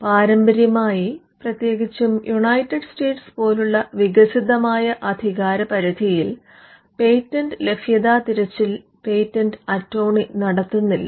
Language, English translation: Malayalam, By convention, especially in the advanced jurisdictions like United States, a patentability search is not done by the patent attorney